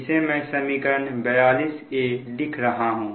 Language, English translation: Hindi, say, this is equation forty two